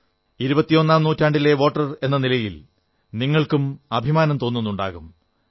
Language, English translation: Malayalam, As voters of this century, you too must be feeling proud